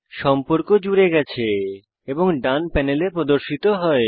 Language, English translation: Bengali, The contact is added and displayed in the right panel